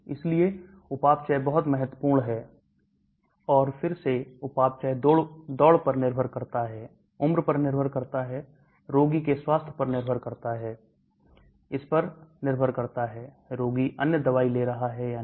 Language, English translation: Hindi, So metabolism is very important and again metabolism depends upon the race, depends upon the age, depend upon the health of the patient, depends upon whether the patient is taking other drugs